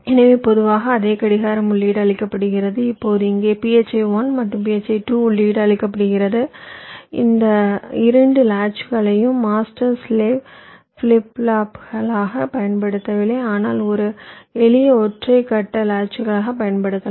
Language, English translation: Tamil, what i am saying is that now let me feed phi one here and phi two here and these two latches i am not using them as master slave flip flop, but aS simple single stage latches, single stage latch